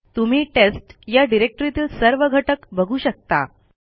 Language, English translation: Marathi, You can see the contents of the test directory